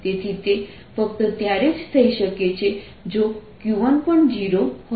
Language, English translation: Gujarati, so that can only happen if, if q one is also so zero